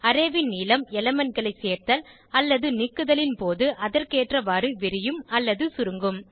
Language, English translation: Tamil, Array length expands/shrinks as and when elements are added/removed from it